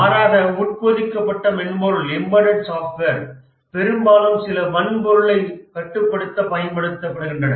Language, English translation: Tamil, In contrast to the information system, in embedded software, these are mostly used to control some hardware